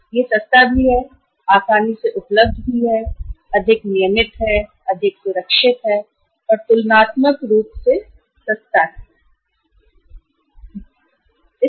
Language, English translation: Hindi, It is cheap also, easily available also, more regular, more secure, and comparatively cheaper source of finance